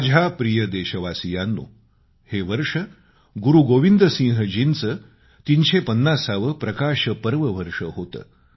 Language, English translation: Marathi, My dear countrymen, this year was also the 350th 'Prakash Parv' of Guru Gobind Singh ji